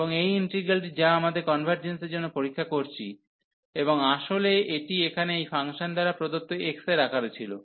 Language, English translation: Bengali, And this integral which we are testing for the convergence, and the originally this was in the form of x given by this function here